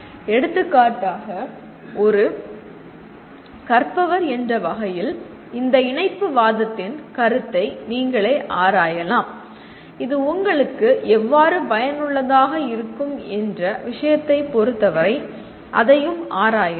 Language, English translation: Tamil, for example as a learner, you yourself can explore what is this concept of connectivism and how it is going to be useful to you with respect to your subject